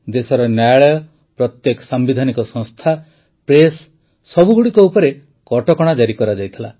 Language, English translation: Odia, The country's courts, every constitutional institution, the press, were put under control